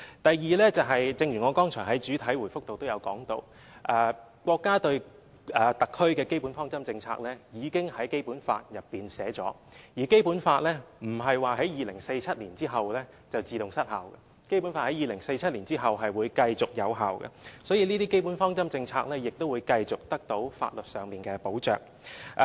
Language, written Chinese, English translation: Cantonese, 第二，正如我剛才在主體答覆內也指出，國家對特區的基本方針政策已經在《基本法》內訂明，而《基本法》不會在2047年後便自動失效，而是會在2047年後繼續有效的，所以，這些基本方針政策亦會繼續得到法律上的保障。, Second as I have pointed out in the main reply just now Chinas basic policies regarding the HKSAR have been stipulated in the Basic Law while the Basic Law will not expire automatically after 2047 but will remain effective beyond 2047 . Therefore these basic policies will remain protected by law